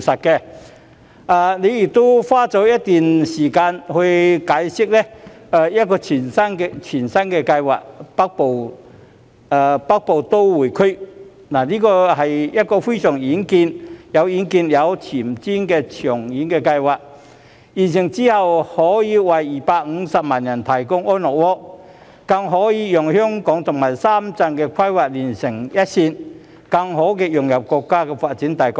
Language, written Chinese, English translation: Cantonese, 特首亦花了一段時間解釋一項全新的計劃——北部都會區，這是一項非常有遠見、有前瞻的長遠計劃，完成後可以為250萬人提供安樂窩，更可讓香港與深圳的規劃連成一線，更好地融入國家發展大局。, The Chief Executive has also spent some time on explaining a brand - new project―the Northern Metropolis which is a very visionary and forward - looking long - term project . Upon completion it can provide comfortable homes for 2.5 million people and align the planning of Hong Kong and Shenzhen to facilitate our integration into the national development